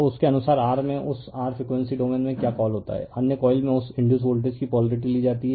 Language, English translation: Hindi, So, according to that in the your what you call in that your frequency domain the polarity of that induce voltage in other coil is taken